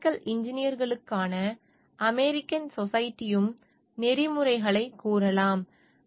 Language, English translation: Tamil, The American Society for Mechanical Engineers could of ethics also are stating